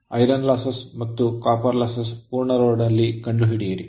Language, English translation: Kannada, Find the iron losses and copper losses at full load right